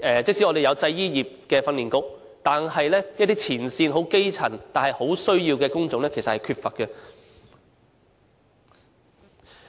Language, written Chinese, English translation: Cantonese, 即使我們有製衣業的訓練局，但是一些前線、基層但很需要的工種，卻是很缺乏的。, Despite the existence of the Clothing Industry Training Authority there is still a shortage of workers to fill many front - line bottom posts